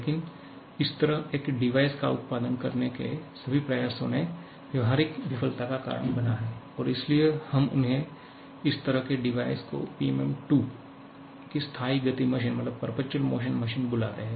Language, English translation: Hindi, But all the attempts to produce a device like this has led to practical failure and therefore, we call them or we call this kind of device that perpetual motion machine of the second kind or PMM II